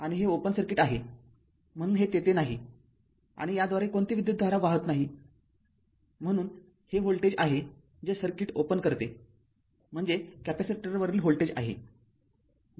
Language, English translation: Marathi, So, it is not there and no current is flowing through this, so this is the voltage that opens circuit what you call that, voltage across the capacitor